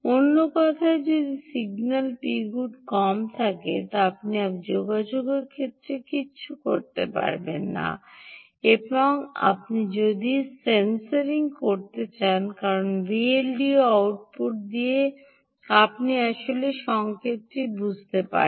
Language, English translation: Bengali, in other words, if the signal p good is low means you cant do anything with respect to communication, and although you could do sensing, ok, because with the v l d o output you can actually go and sense the signal